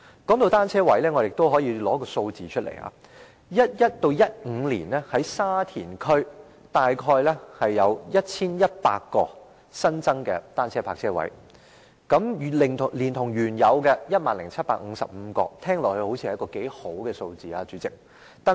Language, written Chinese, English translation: Cantonese, 談到單車車位，我可以列出一些數字，在2011年至2015年間，沙田區約有 1,100 個新增的單車泊車位，再加上原有的 10,755 個，似乎是不錯的數目。, On bicycle parking spaces I would like to list some figures . Between 2011 and 2015 around 1 100 additional bicycle parking spaces were provided in Sha Tin District . Adding to this the original 10 755 spaces the total number of bicycle parking spaces seems to be quite desirable